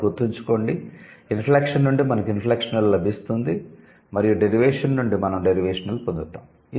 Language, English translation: Telugu, So, from inflection we will get inflectional and from derivation we would get derivational